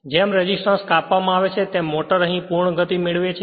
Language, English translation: Gujarati, The resistances are cut out as the motor attains full speed